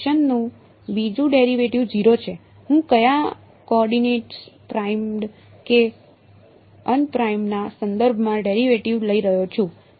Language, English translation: Gujarati, So, second derivative of a function is 0 I am taking the derivative with respect to which coordinates primed or unprimed